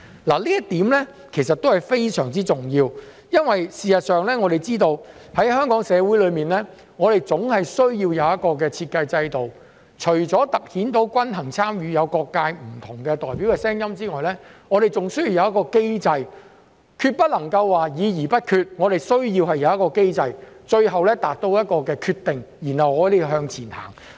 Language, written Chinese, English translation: Cantonese, 這一點其實非常重要，因為事實上，我們知道香港社會總是需要有一個設計制度，除突顯均衡參與，有各界不同代表的聲音外，我們還需要有一個機制，不能夠議而不決，我們需要一個機制最後達到決定，然後向前行。, This is crucial because we know that as a matter of fact in addition to a design system that highlights balanced participation with the voices of different representatives from various sectors the Hong Kong society also needs a mechanism―we cannot deliberate without deciding―to reach a final decision and then move forward